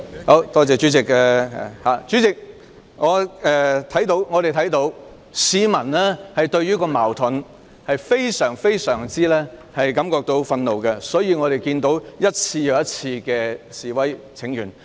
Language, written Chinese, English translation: Cantonese, 代理主席，我們看到市民對這些矛盾感到非常憤怒，所以市民一次又一次的示威請願。, Deputy President we have seen that the public are furious about these conflicts and they have therefore taken part in demonstrations and petitions over and over again